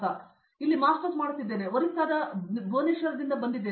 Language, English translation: Kannada, I am doing a Masters here and I am from Orissa particular Bhubaneswar